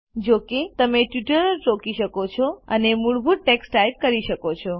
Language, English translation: Gujarati, However, you can pause this tutorial, and type the default text